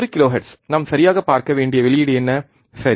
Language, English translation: Tamil, One kilohertz what is the output that we have to see right